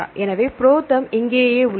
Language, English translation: Tamil, So, ProTherm is here right